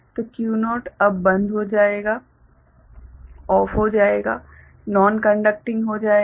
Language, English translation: Hindi, So, Q naught now will go OFF will become non conducting right